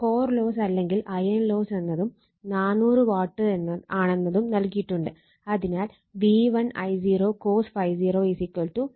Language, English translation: Malayalam, So, core loss that is iron loss = also given 400 watt, therefore, V1 I0 cos ∅0 = 400 so, that is 2400 * 0